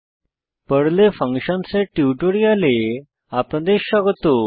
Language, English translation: Bengali, Welcome to the spoken tutorial on Functions in Perl